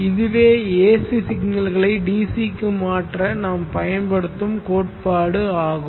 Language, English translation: Tamil, Now this is the concept that we would be using to convert AC signals to DC Consider the